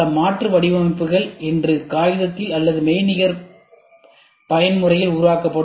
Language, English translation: Tamil, Several alternative designs will be developed on a on paper or on virtual mode today